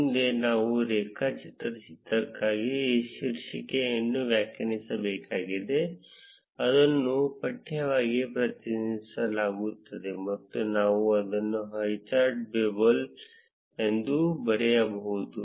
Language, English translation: Kannada, Next, we would need to define the title for the graph, which is represented as text; and we can write it as highchart bubble